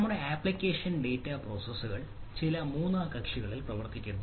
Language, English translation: Malayalam, so our application data processes are running on some third party